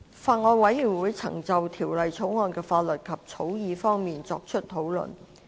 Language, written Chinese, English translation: Cantonese, 法案委員會曾就《條例草案》的法律及草擬方面，作出討論。, The Bills Committee has discussed legal and drafting issues concerning the Bill